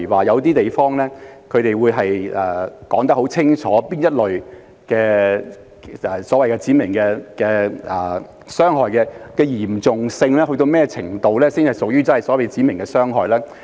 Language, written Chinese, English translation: Cantonese, 有些地方會很清楚訂明哪一類傷害屬指明傷害，其嚴重性須達到甚麼程度才屬於指明傷害。, Some places have clear definitions as to what kind of harm is regarded as specified harm and the degree of severity required for specified harm